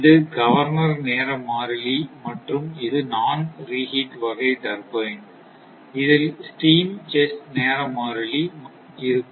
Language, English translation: Tamil, That this this is the governor time constant and this is just non d type turbine, the steam chess time constant